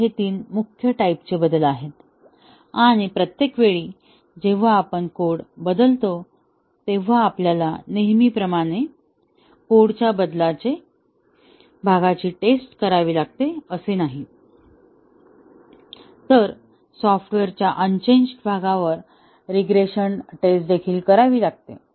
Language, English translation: Marathi, So, these are 3 main types of changes; and each time we change the code, not only we have to test the changed part of the code as usual, but also we need to carry out regression testing on the unchanged part of the software